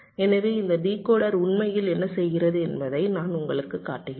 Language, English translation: Tamil, so i am just showing you what this decoder actually does